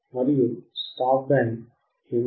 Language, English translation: Telugu, What will be a stop band